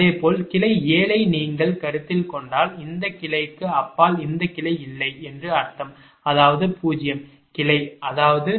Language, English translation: Tamil, similarly, if you consider branch seven, that with these branch, beyond this branch there is no branch, that means zero branch, that means bjj will be zero